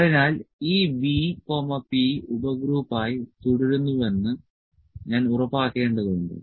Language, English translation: Malayalam, So, only thing is that I need to make sure that this B remains P subgroup is there